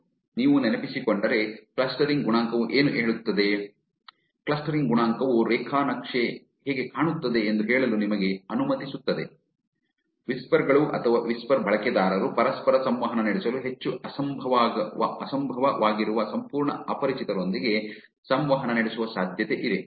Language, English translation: Kannada, If you remember, what clustering coefficient tells, clustering coefficient just lets you to say how the graph looks like, whispers or whisper users are likely to interact with complete strangers who are highly unlikely to interact with each other also